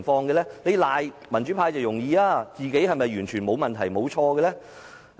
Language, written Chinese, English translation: Cantonese, 指責民主派容易，但自己是否完全沒有問題、沒有錯誤呢？, It is easy to condemn pro - democracy Members but how about the pro - establishment Members and the Central Government have they made no mistakes at all?